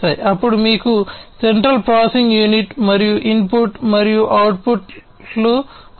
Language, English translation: Telugu, Then you have the central processing unit and the input and output